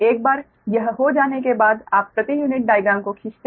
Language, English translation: Hindi, once this is done, then you draw the per unit diagram right